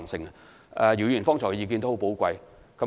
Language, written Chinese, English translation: Cantonese, 姚議員剛才的意見十分寶貴。, The views given by Mr YIU just now are very precious